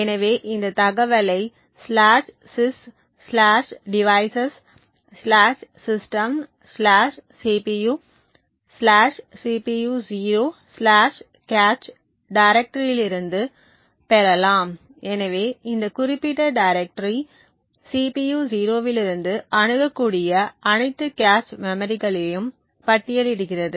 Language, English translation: Tamil, So, this information can be obtained from the directory /sys/devices/system/cpu/cpu0/cache, so this particular directory list all the cache memories that are accessible from the CPU 0